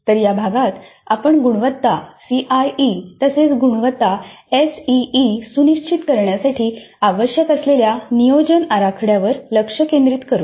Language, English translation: Marathi, So in this unit we focus on the planning upfront that is required to ensure quality CIE as well as quality SEA